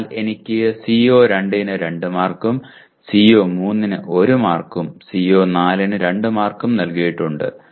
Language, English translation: Malayalam, So I have 2 marks assigned to CO2, 1 mark assigned to CO3 and 2 marks assigned to CO4